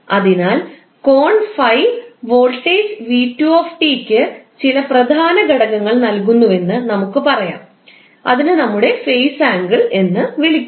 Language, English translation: Malayalam, So, what we can say that the angle that is 5 is giving some leading edge to the voltage v2 and that is called our phase angle